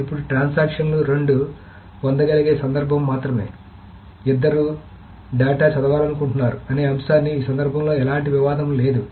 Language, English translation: Telugu, The only case where both of the transactions can get is both of them wants to read the data item